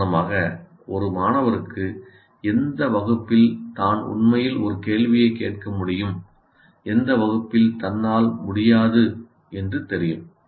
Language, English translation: Tamil, For example, a student will know in which class he can actually ask a question and in which class he cannot